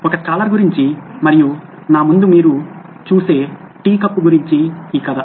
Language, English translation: Telugu, The story about a scholar and a tea cup like the one you see in front of me